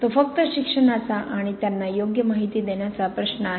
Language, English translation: Marathi, It is just the question of education and giving them the right information